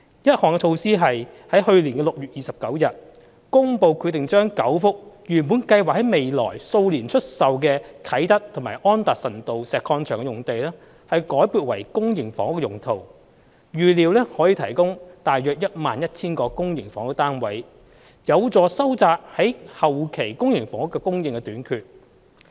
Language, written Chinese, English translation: Cantonese, 一項措施是在去年6月29日公布決定將9幅原本計劃在未來數年出售的啟德及安達臣道石礦場用地，改撥為公營房屋用途，預料可提供約 11,000 個公營房屋單位，有助收窄後期公營房屋的供應短缺。, One of them as in the Governments decision announced on 29 June last year is to re - allocate nine sites which were originally intended for sale in the coming few years at Kai Tak and Anderson Road Quarry for public housing . The sites are expected to provide some 11 000 public housing units which will help narrow the public housing shortage in later years